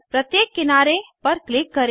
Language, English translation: Hindi, Click on each edge